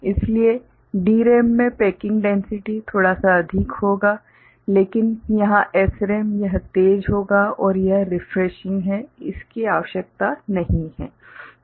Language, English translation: Hindi, So, in DRAM the packing density will be a little bit what is that called more, but here SRAM it will be faster and it is this refreshing, is not required